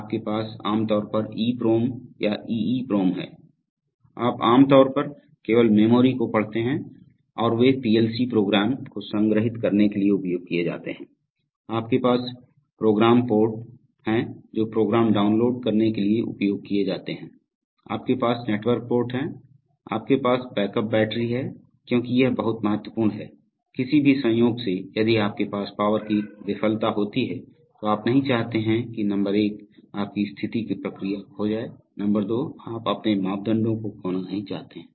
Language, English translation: Hindi, You have EPROM or EEPROM these are typically, you know read only memories and they are used for storing the PLC programs, you have programmer ports which are used for downloading programs, you have network ports, you have backup battery, this is very important because by any chance if you have power failure, you do not want, number one your process state to be lost, number two you do not want to lose your parameters